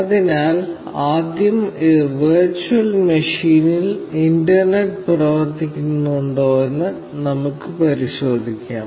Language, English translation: Malayalam, So, first, let us verify if the internet is working on this virtual machine